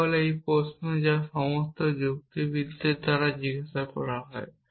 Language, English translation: Bengali, This is this is the question which is asked by all logicians